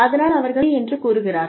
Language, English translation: Tamil, So, they say okay